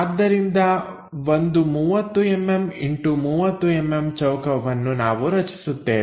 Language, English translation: Kannada, So, a 30 by 30 square we will construct it